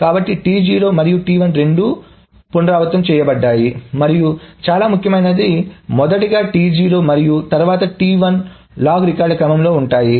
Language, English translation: Telugu, So, both T0 and T1 are redone and very importantly in the order of T0 first and then T1 on the order of the log records